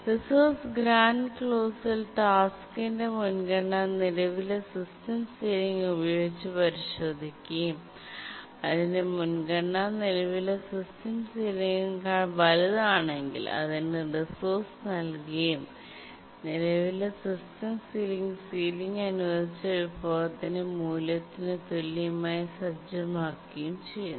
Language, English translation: Malayalam, In the resource grant clause, the task's priority is checked with the current system sealing and if its priority is greater than the current system ceiling then it is granted the resource and the current system sealing is set to be equal to the ceiling value of the resource that was granted